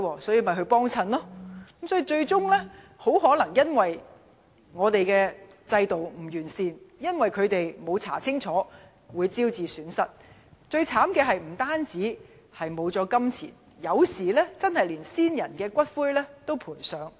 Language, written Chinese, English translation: Cantonese, 最終，可能由於制度的不完善，加上他們沒有調查清楚，便招致金錢損失，而最悽慘的是，有時候甚至連先人的骨灰也賠上。, In the end perhaps because the system is flawed and they have not checked clearly they suffer financial losses . Worse still sometimes they may even lose the ashes of their ancestors